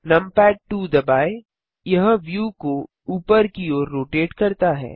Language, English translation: Hindi, Press numpad 2 the view rotates upwards